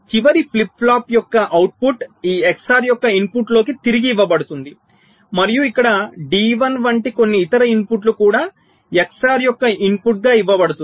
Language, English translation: Telugu, these are d flip flops, so the output of the last flip flop is fed back in to the input of this x or and some other output, like here, d one is also fed as the input of x or